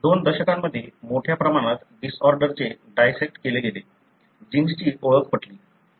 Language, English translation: Marathi, In the two decades a large number of disorders have been dissected, genes have been identified